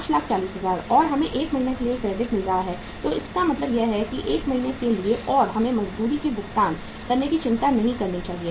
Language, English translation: Hindi, 540,000 and we are getting the credit for 1 month so it means this is for 1 month we need not to worry about paying for the wages